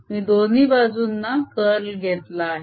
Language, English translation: Marathi, i have taken curl on both sides